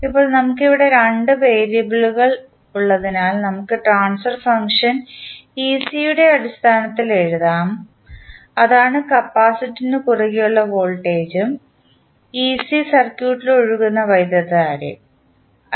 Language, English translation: Malayalam, Now, since we have here 2 variables, so, we will, we can write the transfer function in terms of ec that is the voltage across capacitor and i that is current flowing through the circuit